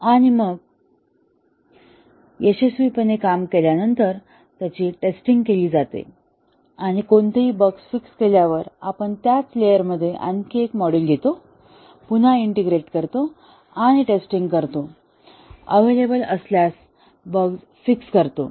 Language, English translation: Marathi, And then after they work successfully they have been tested and any bugs fixed, then we take one more module in the same layer, again integrate and test it, fix any bugs that are present